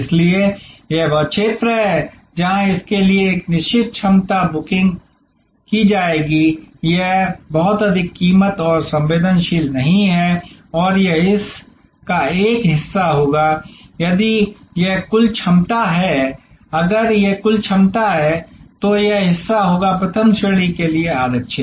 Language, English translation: Hindi, Therefore, this is the area where a certain capacity will be booked for this, this is not very price and sensitive and this will be a this part of the if this is the total capacity if this is the total capacity, then this part will be reserve for first class